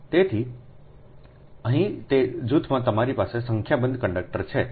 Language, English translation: Gujarati, so here in that group you have n number of conductors, right